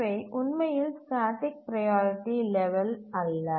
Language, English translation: Tamil, So, those are not really static priority levels